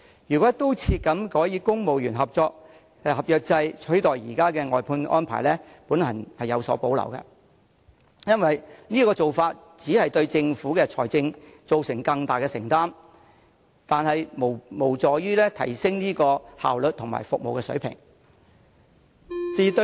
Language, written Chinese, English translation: Cantonese, 如果"一刀切"改以公務員合約制取代現有的外判安排，我對此有所保留，因為此舉只會對政府的財政造成更大負擔，卻無助提升效率及服務水平。, I have reservations about the approach of replacing the existing outsourcing arrangements with employment on civil service agreement terms across the board because so doing will only increase the financial burden of the Government without enhancing efficiency and the quality of services